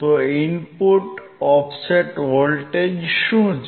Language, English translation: Gujarati, So, what is input offset voltage